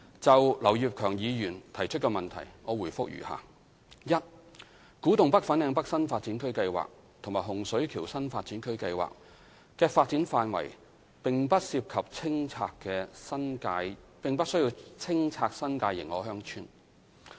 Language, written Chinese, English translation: Cantonese, 就劉業強議員提出的質詢，我回覆如下：一古洞北/粉嶺北新發展區計劃和洪水橋新發展區計劃的發展範圍不涉及清拆新界認可鄉村。, My reply to Mr Kenneth LAUs question is as follows 1 Within the development areas of the Kwu Tung North and Fanling North KTNFLN NDAs and the Hung Shui Kiu HSK NDA Projects no clearance of any New Territories recognized villages will be involved